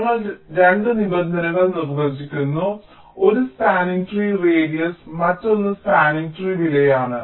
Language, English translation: Malayalam, we define two terms: one is the radius of the spanning tree and the other is the cost of the spanning tree